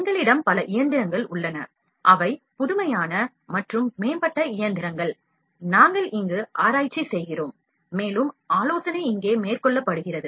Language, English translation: Tamil, In this laboratory, we have multiple machines which are non convention and advanced machines, we do research and also consultancy is being carried out here